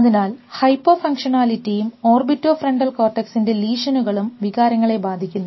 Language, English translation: Malayalam, So, Hypofunctionality and lesions of orbitofrontal cortex affects emotions